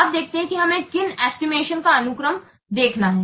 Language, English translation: Hindi, Now let's see what are the sequences of the estimations that we have to follow